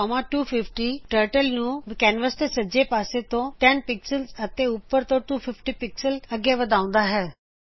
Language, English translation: Punjabi, go 10,250 commands Turtle to go 10 pixels from left of canvas and 250 pixels from top of canvas